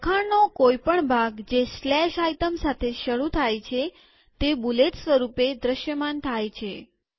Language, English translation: Gujarati, Every piece of text that starts with a slash item appears in a bulleted form